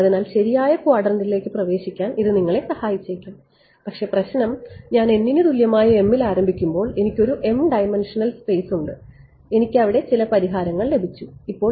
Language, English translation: Malayalam, So, it may help you in sort of getting into the right quadrant, but the problem is when I start with m equal to n, I have an m dimensional space and I have got some solution over there now when I want to go for a higher resolution let us say I go to you know 100 m